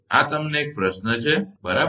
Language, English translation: Gujarati, These a question to you right